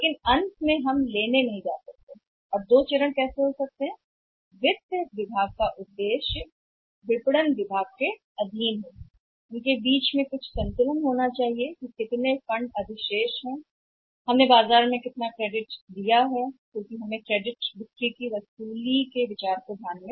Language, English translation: Hindi, But finally we cannot go pick and how can have to extremes whether the objective was the finance department subject to a marketing department is there has to be a trade off that how much funds be surplus funds we have how much credit we can give in the market because we have to keep into consideration the recovery of the credit sales